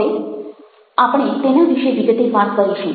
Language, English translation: Gujarati, now we will talk about them in detail